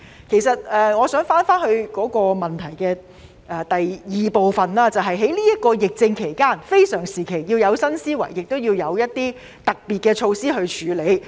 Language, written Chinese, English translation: Cantonese, 其實，我想返回主體質詢第二部分，在這段疫症期間，非常時期要有新思維，亦要有一些特別措施去處理。, In fact I wish to go back to part 2 of the main question . During the pandemic in this very special time we need to have new thinking and also special measures to deal with the situation